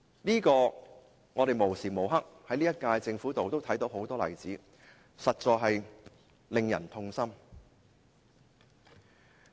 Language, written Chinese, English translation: Cantonese, 可是，我們時刻均可在這屆政府看到很多這樣的例子，實在令人痛心。, However these examples can be found in the incumbent Government anytime . It is really heart - rending indeed